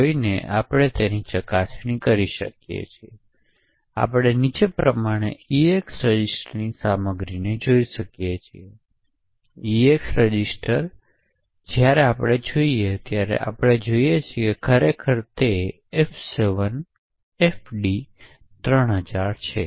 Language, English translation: Gujarati, So, we can just store it over here and we can also verify this by looking at GDB and we can see this by looking at contents of the EAX register as follows, register EAX and we see that indeed it has F7FD3000